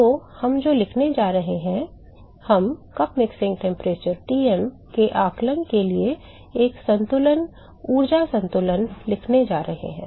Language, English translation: Hindi, So, what we are going to write is we going to write a balance energy balance for estimating cup mixing temperature Tm